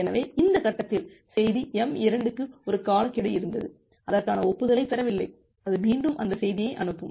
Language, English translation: Tamil, So, at this stage, there was a timeout for there was a timeout for message m2 for which it has not received the acknowledgement and it transmits that message again